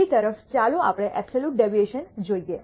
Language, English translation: Gujarati, On the other hand, let us look at the mean absolute deviation